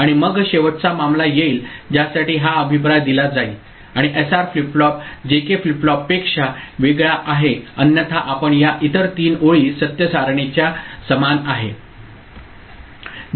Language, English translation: Marathi, And then comes the last case for which actually this feedback is given and SR flip flop is different from JK flip flop otherwise thee remain the other three rows of this truth table is same